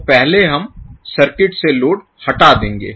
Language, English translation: Hindi, So, first we will remove the load from the circuit